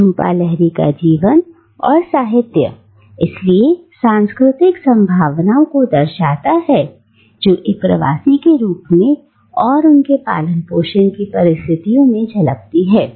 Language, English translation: Hindi, Jhumpa Lahiri’s life and literature therefore shows the cultural possibilities that the condition of being born and brought up in a diaspora throws up